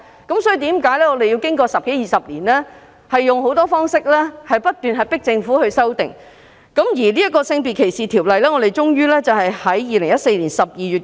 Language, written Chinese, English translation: Cantonese, 因此，我們經過十多二十年仍要以各種方式迫使政府作出修訂。《性別歧視條例》終於在2014年12月修訂。, Therefore we had kept pressing the Government for amendment for some 10 or 20 years before SDO was finally amended in December 2014